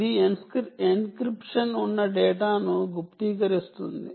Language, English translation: Telugu, it does encrypt data